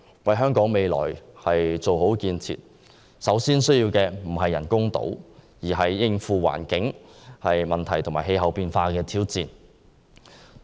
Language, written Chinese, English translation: Cantonese, 為香港未來做好建設，我們首先需要的不是人工島，而是須應付環境問題和氣候變化的挑戰。, To take forward the development in Hong Kong the priority is not to construct artificial islands but to deal with the challenges posed by the environment and climate change